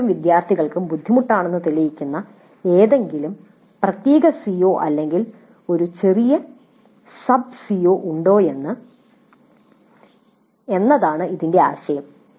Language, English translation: Malayalam, The idea of this is to see if there is any particular COO or a small set of subset of COs which are proving to be difficult for a majority of the students